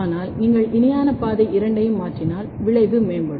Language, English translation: Tamil, But if you mutate both the parallel pathway the effect is enhanced